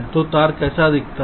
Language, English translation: Hindi, so how does the wire look like